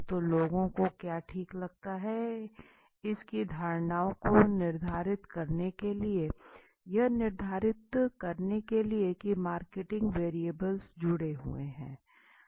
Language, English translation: Hindi, So to determine the perceptions of what people feel okay, to determine the degree to which the marketing variables are associated